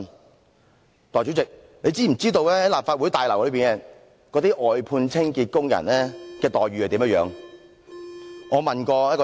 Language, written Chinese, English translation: Cantonese, 代理主席，你知否在立法會大樓內的外判清潔工人的待遇如何？, Deputy President do you know the treatment for those outsourced cleaning workers of the Legislative Council Complex?